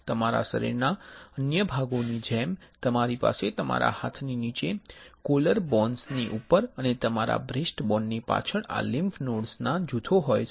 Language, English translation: Gujarati, You have groups of these lymph nodes under your arms above your collarbones and behind your breastbone as well as in other parts of your body